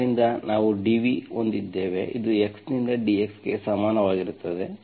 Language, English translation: Kannada, So we have dv, this is equal to dx by x